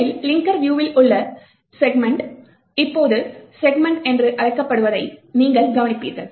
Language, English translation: Tamil, First, you would notice that the sections in the linker view now called segments